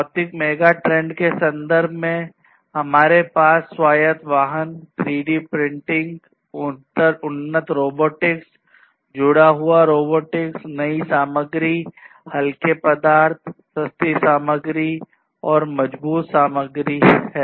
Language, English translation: Hindi, So, in terms of the physical megatrends, we have now autonomous vehicles, 3D printing, advanced robotics, connected robotics, new materials, lightweight materials, cheaper materials, stronger materials and so on